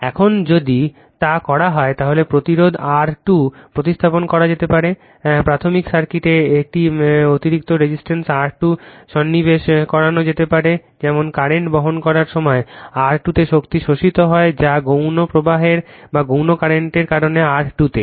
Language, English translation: Bengali, Now, if you do so, if you do so, resistance R 2 can be replaced by inserting an additional resistance R 2 dash in the primary circuit such that the power absorbed in R 2 dash when carrying current your is equal to that in R 2 due to the secondary current, right